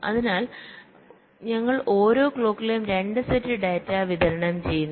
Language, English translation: Malayalam, so we are supplying two sets of data every clock